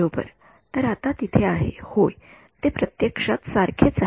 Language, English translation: Marathi, Right; so now, the there is yeah they are actually the same